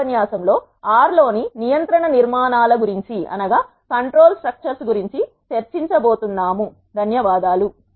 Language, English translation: Telugu, In the next lecture we are going to discuss about the control structures in R